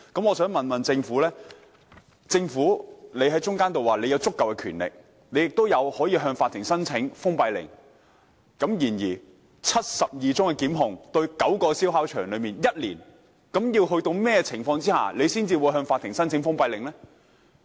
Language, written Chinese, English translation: Cantonese, 我想問政府，既然提到有足夠的權力採取行動，亦可以向法庭申請封閉令，而過去一年又對9個燒烤場提出了72宗檢控，究竟要在甚麼情況下才會向法庭申請封閉令呢？, May I ask the Government given the mention that it is vested with adequate power to take action and it may also apply to the Court for a closure order and 72 prosecutions were instituted against nine barbecue sites in the past year actually under what circumstances it will apply to the Court for a closure order?